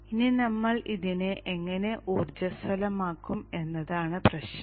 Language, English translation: Malayalam, Now the issue is how do we energize this